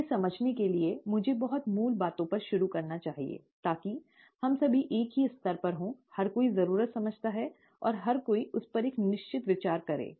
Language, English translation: Hindi, To understand this, let me start at the very basics, and, so that we are all at the same level, everybody understands the need and everybody takes a certain view to that